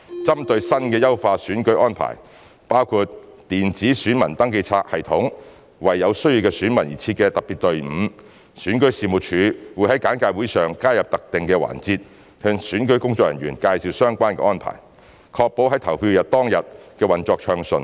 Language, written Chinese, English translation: Cantonese, 針對新的優化選舉安排，包括電子選民登記冊系統及為有需要的選民而設的特別隊伍，選舉事務處會在簡介會上加入特定的環節向選舉工作人員介紹相關的安排，確保在投票日當天的運作暢順。, In view of the new measures in enhancing the electoral arrangements including the electronic poll register system and the dedicated queue for electors with special needs the Registration and Electoral Office REO will include designated slots during the briefing sessions to brief electoral staff on relevant arrangements with a view to ensuring smooth operations on the polling day